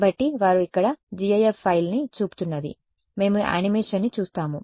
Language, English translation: Telugu, So, what they are showing over here is a gif file we will see the animation